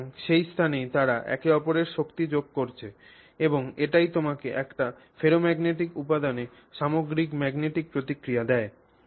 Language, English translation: Bengali, So, that is where they are, you know, adding to each other strength and that is what gives you this overall magnetic response in a ferromagnetic material